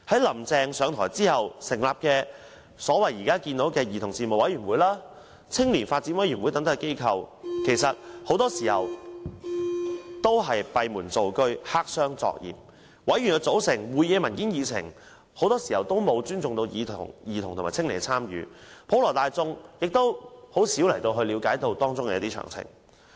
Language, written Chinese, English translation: Cantonese, "林鄭"上台後成立了現時所謂的兒童事務委員會和青年發展委員會等機構，但很多時候也是閉門造車、黑箱作業，有關委員的組成、會議的文件和議程很多時候也沒有尊重兒童和青年的參與，普羅大眾亦難以了解當中詳情。, Upon assumption of office Carrie LAM established the so - called Commission on Children and Youth Development Commission . But they often operate behind closed doors . The membership papers and agenda of meetings often did not take children and young peoples participation into account